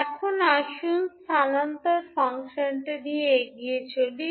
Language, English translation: Bengali, Now, let us proceed forward with the transfer function